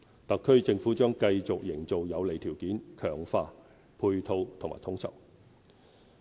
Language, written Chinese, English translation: Cantonese, 特區政府將繼續營造有利條件，強化配套和統籌。, The Government will continue to create favourable conditions improve supporting infrastructure and enhance coordination